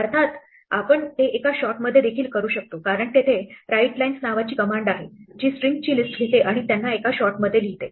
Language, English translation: Marathi, Of course, we can do it even in one shot because there is a command called writes lines, which takes the list of strings and writes them in one shot